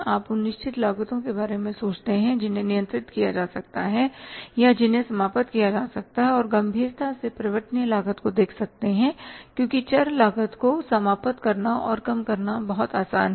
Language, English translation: Hindi, You reduce the human resources, you think about those fixed costs which can be controlled or which can be eliminated and seriously look at the variable cost because it is very easy to eliminate and minimize the variable cost